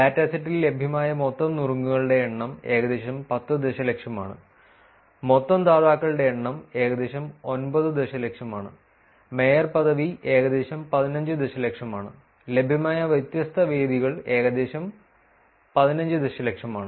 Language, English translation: Malayalam, It is the total number of tips that are available in the dataset is about 10 million, total number of dones is about 9 million, and mayor ship is about 15 million and different venues that are available are about 15 million again